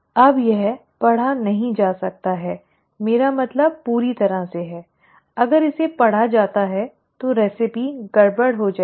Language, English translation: Hindi, Now this cannot be read, I mean completely, if this is read, the recipe will get messed up